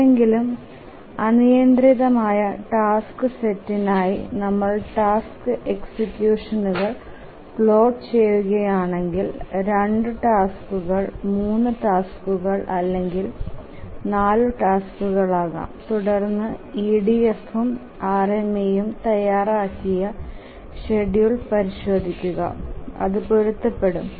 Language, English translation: Malayalam, But then if you plot the task executions for any arbitrary task set, maybe you can take it as a homework, you just take an arbitrary task set, maybe two tasks, three tasks or four tasks, and check the schedule that is worked out by the EDF and the schedule that will be worked out by the RMA and you match them, they are actually identical